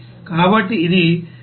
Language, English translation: Telugu, So it is 384